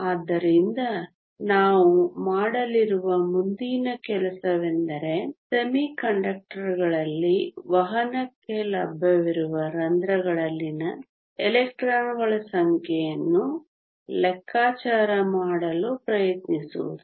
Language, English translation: Kannada, So, the next thing we going to do is to try and calculate the number of electrons in holes that are available for conduction in a semi conductor